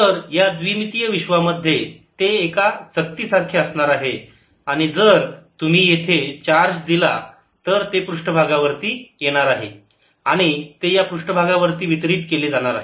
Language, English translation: Marathi, so in two dimensional world it will be like a disk and if you give a charge here it is all coming to the surface, it get distributed on the surface